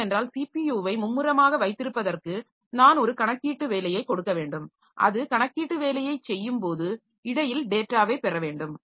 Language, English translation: Tamil, O devices busy at all times because for keeping the CPU busy I have to give it a computational job and when it is doing the computational job so in between it has to get data the user has to enter some data